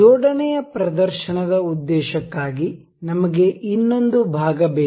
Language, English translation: Kannada, For the demonstration purpose of assembly we need another part